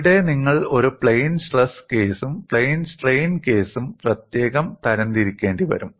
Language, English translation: Malayalam, And here you will have to classify this for a plane stress case separately and plane strain case separately